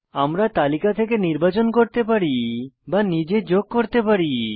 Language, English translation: Bengali, We can select from the list or add our own category